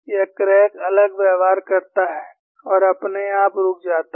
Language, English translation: Hindi, That is crack propagates and stops by itself